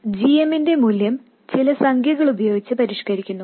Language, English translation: Malayalam, The value of GM is also modified by some number